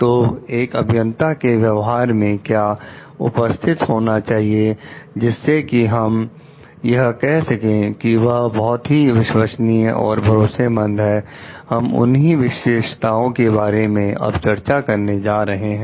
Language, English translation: Hindi, So, what needs to be present in the behaviour of the engineers took so that we can tell like they are reliable, they are trustworthy; those characteristics we are going to discuss now [vocalised noise]